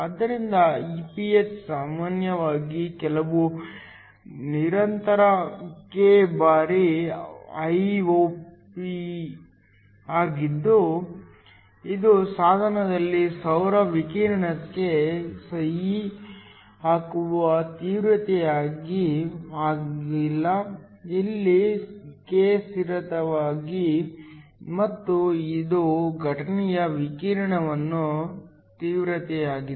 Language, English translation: Kannada, So, Iph is usually some constant K times Iop which is the intensity of the solar radiation signing on the device so K here is a constant and this is the intensity of incident radiation